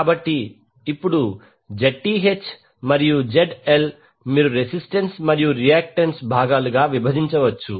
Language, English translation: Telugu, So, now Zth and ZL you can divide into the resistance and the reactance component